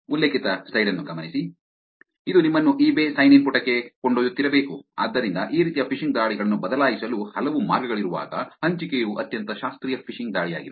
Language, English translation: Kannada, Which supposedly should be taking you to eBay sign in page, so that is the sharing that is a very classical phishing attack when there are multiple ways of a changing these kind of phishing attacks